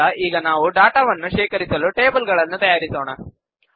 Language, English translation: Kannada, Next, let us create tables to store data